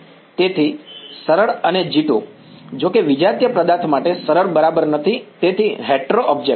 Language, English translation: Gujarati, So, therefore, easy and G 2; however, for a heterogeneous object not easy right; so, hetero object